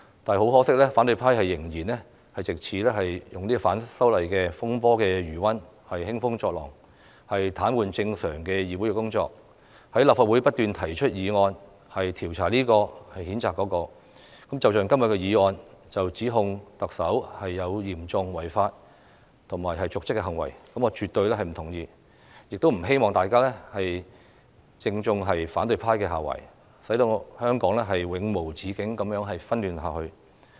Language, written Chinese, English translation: Cantonese, 但很可惜，反對派仍然藉着反修例風波的餘溫興風作浪，癱瘓議會的正常工作，在立法會不斷提出議案調查這位、譴責那位，正如今天的議案指控特首有嚴重違法或瀆職行為，我是絕對不同意的，也不希望大家正中反對派下懷，使香港永無止境地紛亂下去。, Unfortunately the opposition camp continues to ride on the disturbances to stir up troubles and paralyse the regular operation of the Council . They constantly propose motions in the Legislative Council to investigate one person or censure another just like todays motion which accuses the Chief Executive of serious breach of law or dereliction of duty which I absolutely disagree . I also hope everyone will not fall into the trap of the opposition camp and put Hong Kong in endless chaos